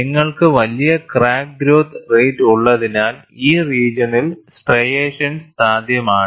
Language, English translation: Malayalam, And because you have larger crack growth rate, in this region, striations are possible